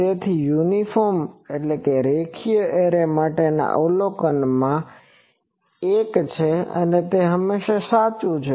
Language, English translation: Gujarati, So, this is one of the observation for an uniform linear array, it is always true